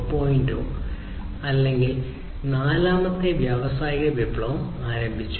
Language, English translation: Malayalam, 0 or fourth industrial revolution